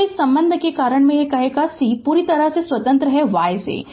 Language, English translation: Hindi, So, because of this relationship we will say c is completely independent y